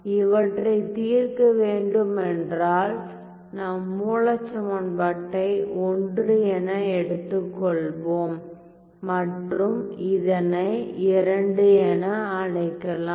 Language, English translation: Tamil, I see that if I were to solve let me call this let me call the original equation as my I and let me call this as II